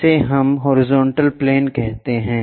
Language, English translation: Hindi, This is what we call a horizontal plane